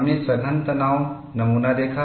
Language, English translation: Hindi, We saw the compact tension specimen